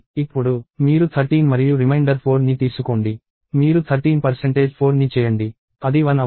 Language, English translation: Telugu, And now, you take 13 and the reminder 4; you do 13 percentage 4; that is 1